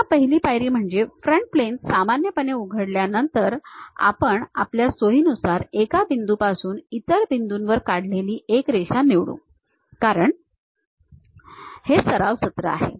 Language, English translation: Marathi, Again, the first step is after opening the front plane normal to it, we pick a Line draw from one point to other point at your convenience whatever the points because it is a practice session